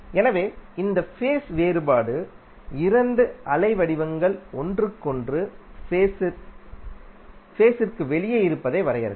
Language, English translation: Tamil, So this phase difference will define that how two waveforms are out of phase with each other